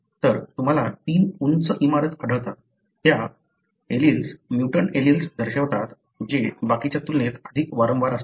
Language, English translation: Marathi, So, you find 3 tall buildings, each one representing, the alleles, the mutant alleles that are more frequent as compared to the rest